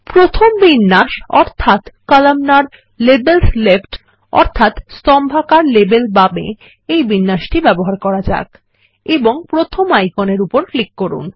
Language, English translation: Bengali, Let us use the first arrangement that says Columnar – Labels left and click on the first icon